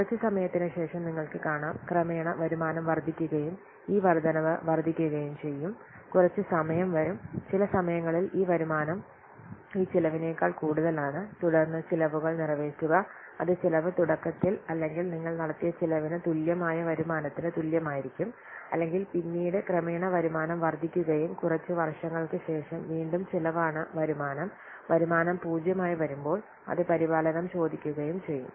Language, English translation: Malayalam, And after some time you see, we'll get gradually the revenue will come up and gradually the revenue, the income will increase, increase, and this increase, so some time will come at some point of time this income it will outweigh this expenditure, then it will gradually, it will meet the expenses, it will be the expenditure will be equal to what the income it will pay of the expenditure that we have made initially, then the gradually the income will increase and after some years again the expenditure the income the revenue will come to zero, then will ask maintenance so again you have to put some more expenditure this is how the typical product lifecycle cash flow this looks likes so basically what importance is I have to forecast a cash flow and cash flow means it will indicate when expenditure will take place and when the income or revenue will take place